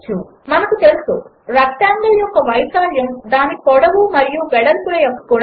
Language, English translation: Telugu, As we know, area of a rectangle is product of its length and breadth